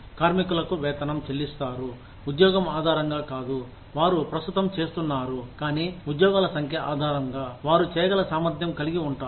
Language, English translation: Telugu, Workers are paid, not on the basis of the job, they currently are doing, but rather on the basis of, the number of jobs, they are capable of doing